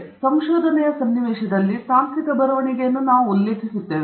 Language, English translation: Kannada, So, this is what we refer to as technical writing in the context of research okay